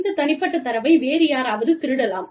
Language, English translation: Tamil, You know, this personal data could be, stolen by somebody else